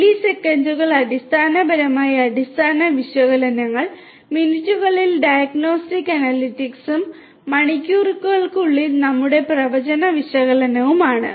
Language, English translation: Malayalam, Milliseconds basically the baseline analytics, in minutes are diagnostic analytics and in hours our prognostic analytics